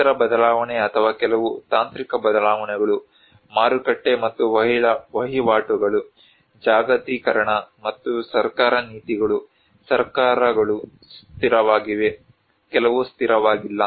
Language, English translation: Kannada, Environmental change or some technological changes, market and trades, globalization, and government and policies like some governments are stable, some governments are not stable